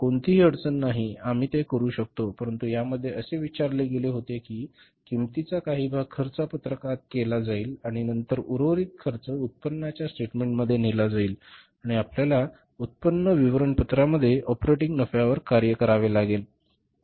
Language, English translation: Marathi, But in this it was asked that part of the cost will be worked out in the cost sheet and then remaining costs will be taken to the income statement and the operating profit will have to work out in the income statement